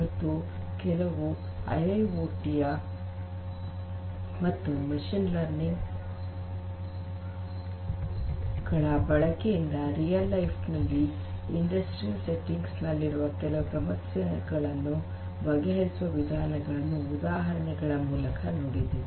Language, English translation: Kannada, And we have also seen a few examples of the use of IIoT and machine learning combined for addressing some machine some real life problems in industrial settings we have already seen that